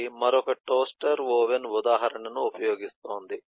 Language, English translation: Telugu, eh, this is another toaster oven, eh example